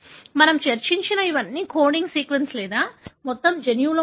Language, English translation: Telugu, All these that we discussed are in the coding sequence or the entire gene